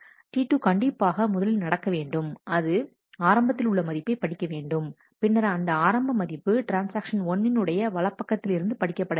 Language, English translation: Tamil, So, T 2 must happen first because it needs to read the initial value and, then that initial value is used by then there is a right on by T 1